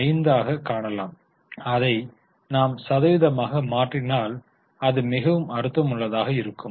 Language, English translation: Tamil, 055 and if you convert it in percentage then it is more meaningful